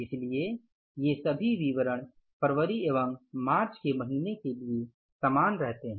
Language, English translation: Hindi, So, all these particulars will remain same for the month of February also and for the month of March also